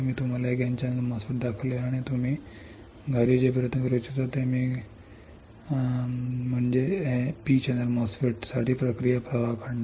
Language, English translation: Marathi, I have shown you an N channel MOSFET and what I want you to do what I want you to try at home is to draw the process flow for P channel MOSFET